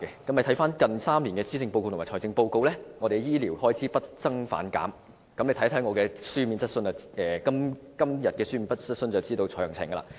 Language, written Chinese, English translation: Cantonese, 翻看近3年的施政報告和財政預算案，我們的醫療開支不增反減，大家看看我今天提出的書面質詢便可知道詳情。, Referring to the policy addresses and the budgets over the past three years we can see that our health care expenditures have been reducing instead of increasing . Members will find the details in my written question raised today